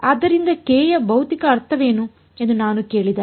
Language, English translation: Kannada, So, if I ask you what is the physical meaning of k